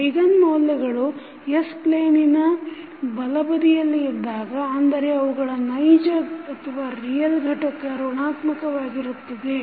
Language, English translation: Kannada, If the eigenvalues are on the left inside of the s plane that means if they have the real component negative